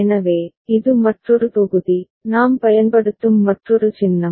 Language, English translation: Tamil, So, this is another block, another symbol that we shall be using